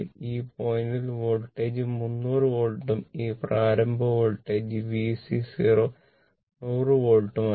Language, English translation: Malayalam, And this point voltage is 300 volt and this initial voltage was V C 0 your what you call 100 volt